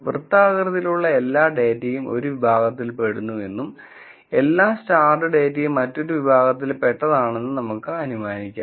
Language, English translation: Malayalam, Now let us assume that all the circular data belong to one category and all the starred data, belong to another category